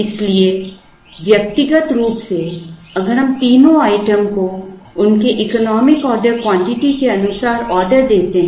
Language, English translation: Hindi, So, individually if we order the 3 items according to their economic order quantity